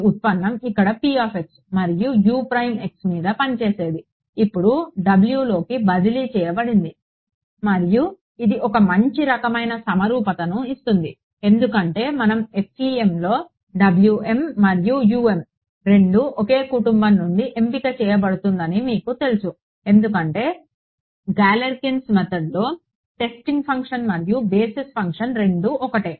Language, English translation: Telugu, This derivative which was acting here on p x and U prime x has now been transferred onto W and that gives a nice kind of symmetry because you know before we even get into you know that in FEM W m and U M there going to be chosen from the same family right its Galerkin’s method the testing function and the basis function is the same